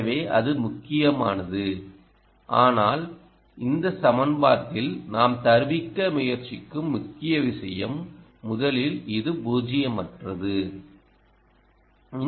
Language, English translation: Tamil, but you see, the main point we are trying to drive at in this equation is number one, is this is nonzero